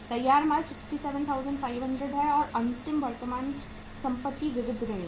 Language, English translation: Hindi, Finished goods are 67,500 and last current asset is the sundry debtors